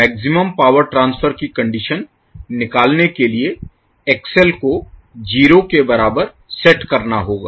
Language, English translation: Hindi, The condition for maximum power transfer will be obtained by setting XL is equal to 0